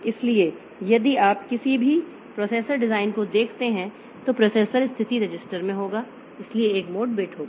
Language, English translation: Hindi, So, if you look into any processor design, so there will be in the processor status register, so there will be a mode bit